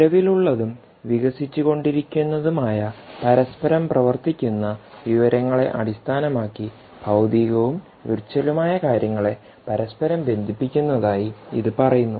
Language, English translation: Malayalam, so it says inter connecting physical and virtual things based on existing and evolving interoperable information